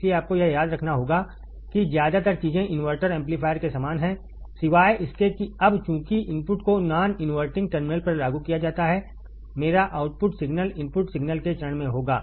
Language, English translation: Hindi, So, you have to remember that most of the things are similar to the inverting amplifier except that now since the input is applied to the non inverting terminal my output signal would be in phase to the input signal